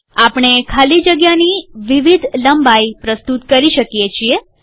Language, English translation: Gujarati, We can introduce different lengths of spaces